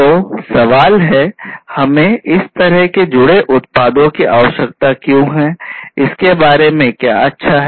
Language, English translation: Hindi, So, the question is that why do we need this kind of connected products, what is so good about it